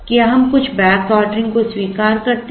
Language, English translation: Hindi, Can we allow for some back ordering